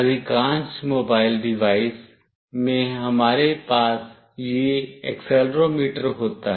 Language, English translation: Hindi, In most mobile device we have this accelerometer in place